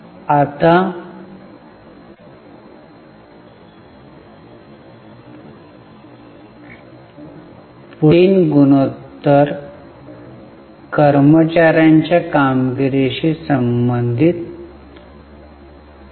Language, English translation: Marathi, Now the next three ratios are related to performance of employees